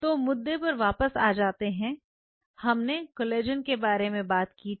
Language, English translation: Hindi, Now, coming back so, we talked about the collagen